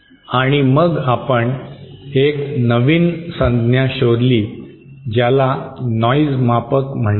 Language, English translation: Marathi, And then we found out a new term called noise measure